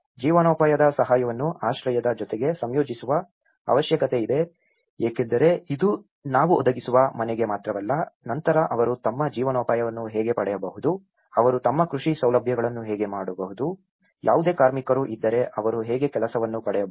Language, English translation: Kannada, There is also need to integrate livelihood assistance with shelter provision because it is not just for the home we are providing, how they can procure their livelihood later on, how they can do their farming facilities, how they can if there any labour how can they can get the work